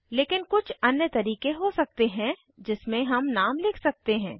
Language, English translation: Hindi, But there can be many other ways in which we can write the names